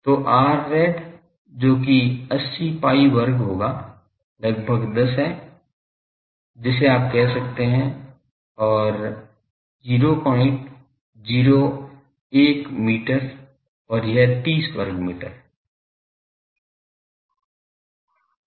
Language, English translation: Hindi, So, R rad that will be 80 pi square is roughly 10 you can say and 0